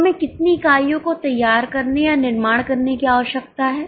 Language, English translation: Hindi, So, how many units we need to prepare or manufacture